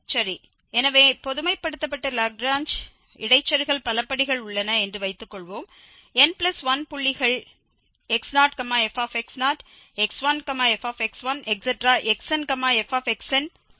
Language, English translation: Tamil, Well, so, the generalized Lagrange interpolating polynomial, suppose there are n points are given x 0 f x 0 or n plus 1